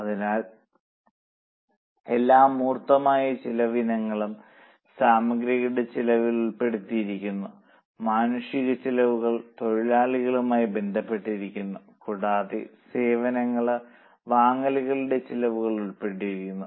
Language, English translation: Malayalam, So, all tangible cost, item related costs are included in material, human related costs are classified into labor and service purchases related costs are expenses